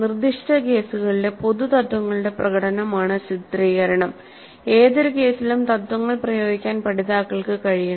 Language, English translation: Malayalam, Portrail is demonstration of the general principles with specific cases and learners must be able to apply the principles to any given case